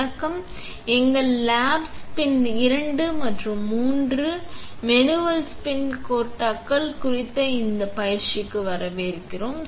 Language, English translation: Tamil, Hello, and welcome to this training on our lab spin 2 and 3, the manual spin coaters